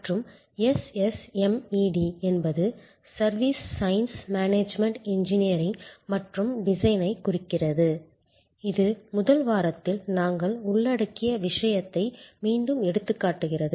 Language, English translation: Tamil, And SSMED stands for Service Science Management Engineering and Design, which again highlights the point that we had covered during the first week